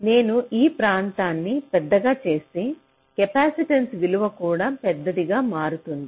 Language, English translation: Telugu, so if i make the area larger, this capacitance value will also become larger, so this delay will also increase